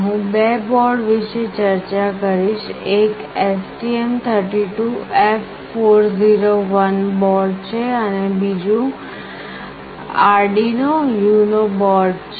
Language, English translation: Gujarati, I will be discussing about two boards; one is STM32F401 board and another one is Arduino UNO